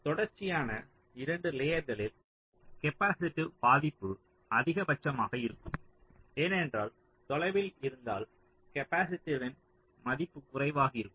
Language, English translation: Tamil, now, across two consecutive layers, the capacitive affect will be the maximum, because if there are further, if away, the value of the capacitance will be less